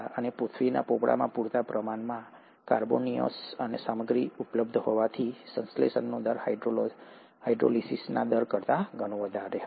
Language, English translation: Gujarati, And since there were sufficient carbonaceous material available in the earth’s crust, the rate of synthesis was much much higher than the rate of hydrolysis